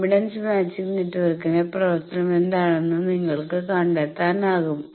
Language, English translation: Malayalam, You can find out that what is the behaviour of the impedance matching network